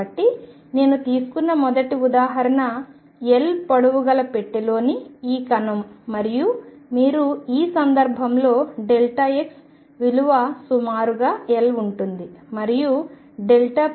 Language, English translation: Telugu, So, first example I take is this particle in a box of length L and you can see in this case delta x is of the order of L